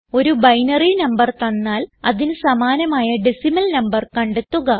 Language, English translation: Malayalam, Given a binary number, find out its decimal equivalent